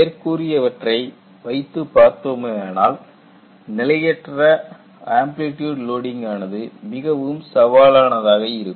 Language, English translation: Tamil, As I mentioned, variable amplitude loading is going to be very very challenging